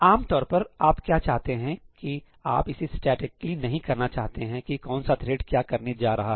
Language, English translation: Hindi, Alright, but typically what you want is, you do not want to statically say that which thread is going to do what, right